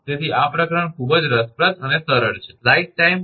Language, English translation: Gujarati, So, this chapter is very interesting and easy